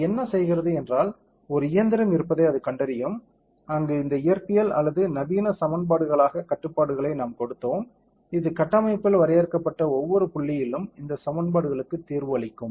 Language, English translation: Tamil, What it does is it will know have an engine, where all these physics or modern as equations we given the constraints that we have given, it will solve for these equations at every point defined on the structure